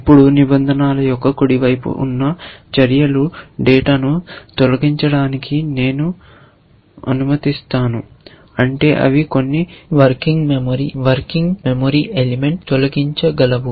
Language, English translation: Telugu, Now, remember that the actions on the right hand side of rules, I allow to delete data which means they might delete some working memory element